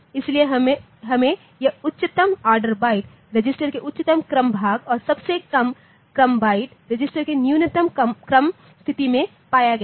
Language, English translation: Hindi, So, we have got this highest order byte in highest order portion of the register and the lowest order byte in the lowest order position of the register